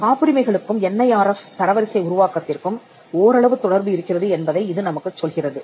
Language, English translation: Tamil, Now, this tells us that there is some relationship between patents and ranking under the NIRF system